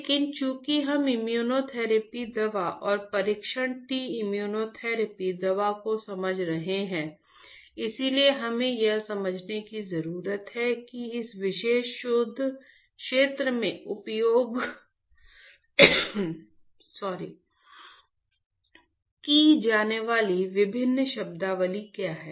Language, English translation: Hindi, But, since we are understanding the immunotherapy drug and the test T immunotherapy drug, we need to understand how the what are different terminologies that are used in this particular research area